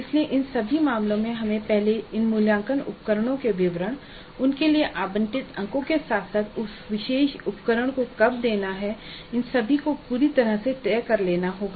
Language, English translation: Hindi, So in all these cases we must finalize first the details of these assessment instruments and the marks allocated for them as well as the schedule when that particular instrument is going to be administered